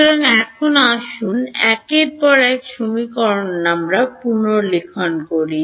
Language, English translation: Bengali, So, now, let us just rewrite equation one over here